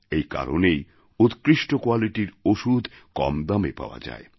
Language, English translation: Bengali, That is why good quality medicines are made available at affordable prices